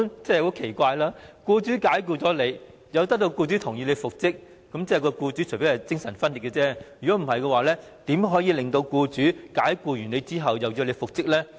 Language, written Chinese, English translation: Cantonese, 這是很奇怪的，僱員被僱主解僱後，要得到僱主的同意才能復職，除非僱主精神分裂，否則怎可能在作出解僱後，又同意僱員復職呢？, That was absurd . The employee could only be reinstated after dismissal if consent was obtained from the employer . Unless the employer was schizophrenic how would he consent to reinstating the employee after dismissing him?